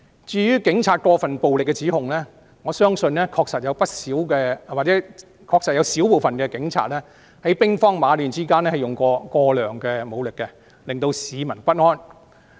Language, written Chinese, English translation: Cantonese, 至於警察使用過分武力的指控，我相信確實不少——或是有少部分警察，在兵荒馬亂之間使用了過量武力，引起市民不安。, Regarding the allegation of the use of excessive force by the Police I believe that many or a small number of police officers have resorted to excessive force in chaotic situations and this has made the public anxious